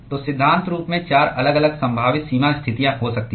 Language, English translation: Hindi, So, in principle there are four different possible boundary conditions that could have